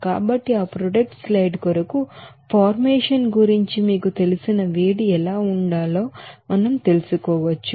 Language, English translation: Telugu, So we can find out what should be the heat of you know formation for this product side